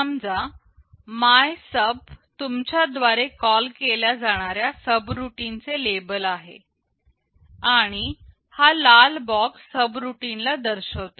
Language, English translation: Marathi, Let us say MYSUB is the label of the subroutine you are calling and this red box indicates the body of the subroutine